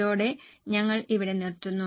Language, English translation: Malayalam, With this we will stop here